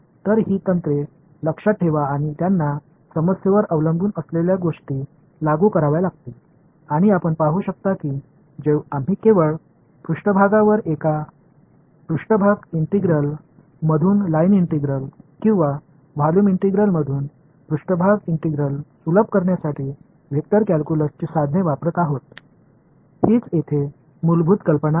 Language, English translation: Marathi, So, keep these techniques in mind you will have to apply them depending on the problem at hand and these like you can see we are just using the tools of vector calculus to simplify a surface integral into a line integral or a volume integral into a surface integral that is the basic idea over here ok